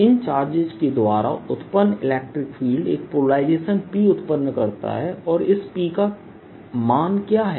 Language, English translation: Hindi, the electric field produced by these charges produces a polarization, p